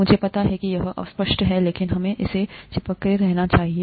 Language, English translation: Hindi, I know it is vague, but let us stick to it